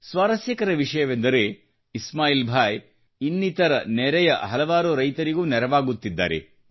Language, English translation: Kannada, Today, Ismail Bhai is helping hundreds of farmers in his region